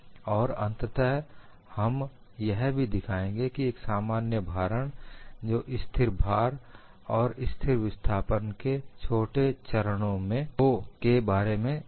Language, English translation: Hindi, And finally, we would also show a general loading can be thought of as smaller steps of constant load and constant displacement